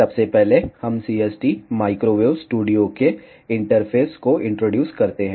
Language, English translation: Hindi, Firstly, we introduce the interface of CST microwave studio